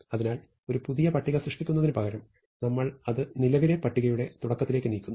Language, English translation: Malayalam, So, instead of creating a new list we move it to the beginning of the current list